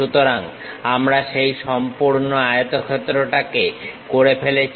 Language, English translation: Bengali, So, we complete that entire rectangle